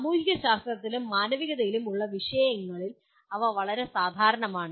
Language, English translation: Malayalam, They are quite common to subjects in social sciences and humanities